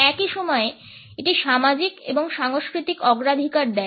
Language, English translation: Bengali, At the same time it also suggests societal and cultural preferences